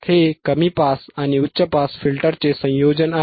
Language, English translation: Marathi, Now you know, what are low pass filters